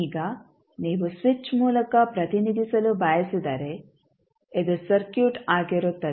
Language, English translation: Kannada, Now, if you want to represent through the switch this would be the circuit